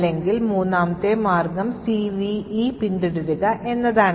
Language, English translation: Malayalam, Or, the third way is by following the CVE